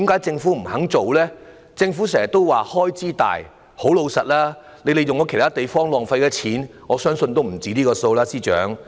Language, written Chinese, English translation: Cantonese, 政府經常說涉及龐大開支，但司長，老實說，政府在其他地方所浪費的金錢，我相信也不止這個數目。, The Government keeps saying that the expenditure incurred will be huge . But frankly Financial Secretary I believe the money wasted by the Government in other areas is much more than this amount